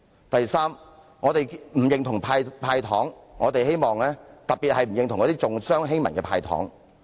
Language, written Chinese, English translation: Cantonese, 第三，我們不認同"派糖"，特別是重商欺民的"派糖"。, Third we do not approve of giving away candies especially when such an act is biased for businessmen and against the common people